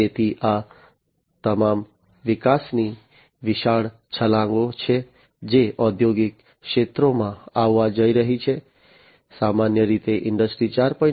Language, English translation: Gujarati, So, these are all huge leaps in growth that are going to come in the industrial sectors, the different industrial sectors with the incorporation of Industry 4